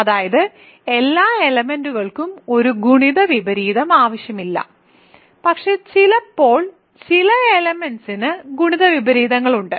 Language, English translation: Malayalam, Namely, that not every element is required to have a multiplicative inverse so, but sometimes some elements do have multiplicative inverses